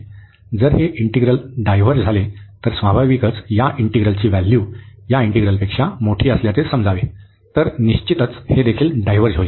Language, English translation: Marathi, So, if this integral diverges, so naturally this integral the value is suppose to be bigger than this integral, so definitely this will also diverge